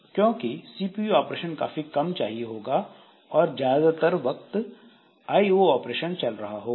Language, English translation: Hindi, So, the very few CPU operation will be required, but most of the time it will be doing I